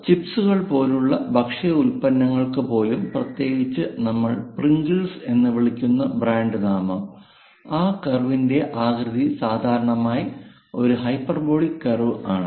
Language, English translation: Malayalam, Even for products food products like chips, especially the brand name we call Pringles; the shape of that curve forms typically a hyperbolic curve